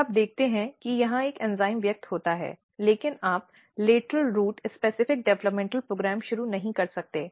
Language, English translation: Hindi, Then you see that there is an enzyme expressing here, but you cannot initiate lateral root specific developmental program